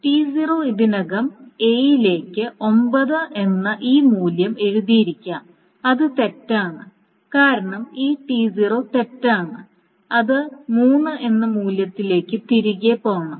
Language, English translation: Malayalam, So T0 may have already written this value of A to 9 which is wrong because T0 is wrong so it should roll back the value to 3